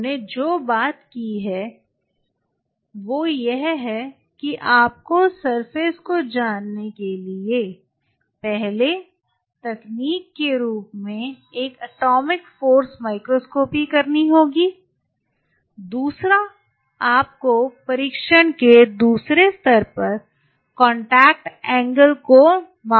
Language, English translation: Hindi, What all we talked about we talked about that you have to do an atomic force microscopy as first technique to know the surface, second you have to do a contact angle measurement at the second level of test